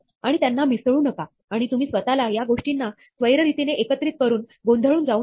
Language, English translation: Marathi, And do not mix it up, and do not confuse yourself by combining these things randomly